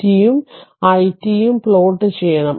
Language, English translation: Malayalam, You have to plot q t and i t